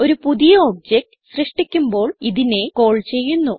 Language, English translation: Malayalam, It is called at the creation of new object